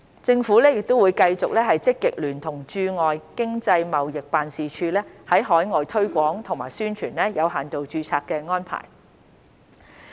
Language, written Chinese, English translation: Cantonese, 政府會繼續積極聯同駐外經濟貿易辦事處在海外推廣和宣傳有限度註冊安排。, The Government will continue to work proactively with the Economic and Trade Offices outside Hong Kong to promote and publicize the limited registration arrangement in overseas countries